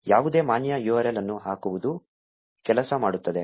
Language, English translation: Kannada, Just putting any valid URL will work